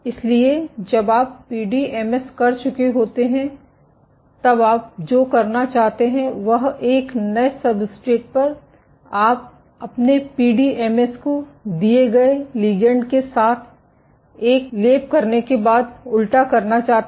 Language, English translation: Hindi, So, after you have done the PDMS what you want to do is on a new substrate you want to invert your PDMS, after coating it on a given with a given ligand